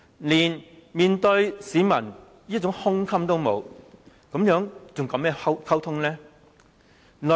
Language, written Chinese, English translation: Cantonese, 連面對市民的胸襟也沒有，又如何談溝通呢？, She does not even have the broadness of mind to face the public so how can she talk about any communications?